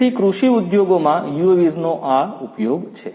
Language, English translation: Gujarati, So, this is the use of UAVs in the agricultural industries